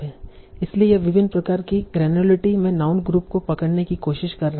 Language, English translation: Hindi, So it is trying to capture noun's group, noun group in various sort of granularity